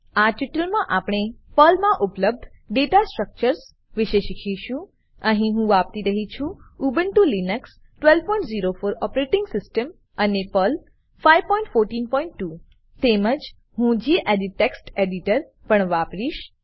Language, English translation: Gujarati, Welcome to the spoken tutorial on Data Structures in Perl In this tutorial, we will learn about Data Structures available in Perl Here I am using Ubuntu Linux12.04 operating system and Perl 5.14.2 I will also be using the gedit Text Editor